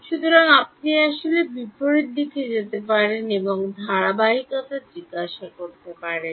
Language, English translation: Bengali, So, you can in fact, go in the reverse direction and ask consistency